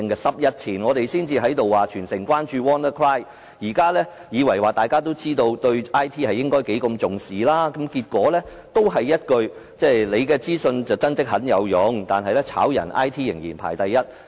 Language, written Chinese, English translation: Cantonese, 十天前，大家才在這裏說全城也要關注 "WannaCry" 病毒，我以為大家也知道應重視 IT， 但結果還是這一句，"你的資訊，真的很有用，但是解僱 IT 人員仍然排第一"......, Ten days ago we called on the city as a whole to pay attention to the WannaCry virus here and I thought people would have understood the importance of IT then . Yet it ends up with the remark that It is true that information is important yet when it comes to layoff IT staff always come before others